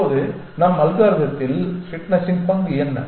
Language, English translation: Tamil, Now, what is the role of fitness in our algorithm